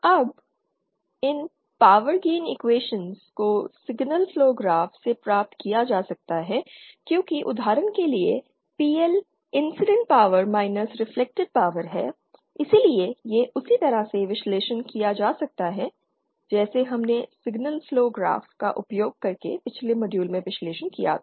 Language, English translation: Hindi, Now these power gain equations can be obtained from the signal flow graph because these are nothing that for example PL is nothing but the incident power minus the reflected power so these can be analyzed in the same way that we analyzed in the previous module using signal flow graphs